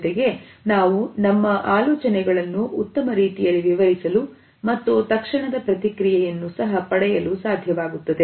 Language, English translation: Kannada, At the same time we are able to explain our ideas in a better way and get an immediate feedback also